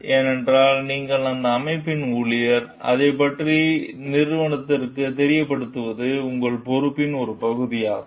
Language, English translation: Tamil, Because, you are an employee of that organization and it is a part of your responsibility to make the organization aware of it